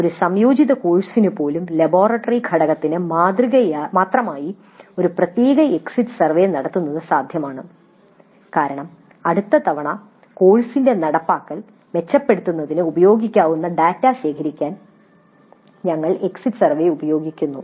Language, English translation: Malayalam, Even for an integrated course it is possible to have a separate exit survey only for the laboratory component because we are essentially using the exit survey to gather data which can be used to improve the implementation of the course the next time